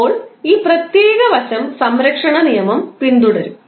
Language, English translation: Malayalam, Now, this particular aspect will follow the law of conservation